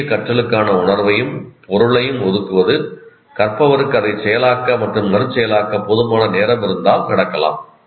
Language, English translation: Tamil, The assignment of sense and meaning to new learning can occur only if the learner has adequate time to process and reprocess it